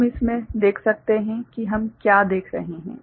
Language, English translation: Hindi, We can see in that what we are looking at